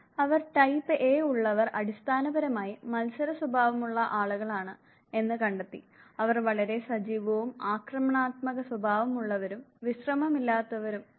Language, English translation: Malayalam, They found those who are type A, they are basically the competitive people; they are also restless very high achieving active and aggressive in nature